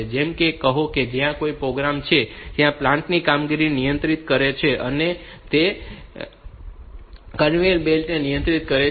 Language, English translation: Gujarati, Like say if there is if I am having a program that controls the operation of a plant, then it controls the conveyor belt etcetera, etcetera